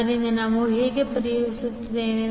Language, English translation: Kannada, So, how we solve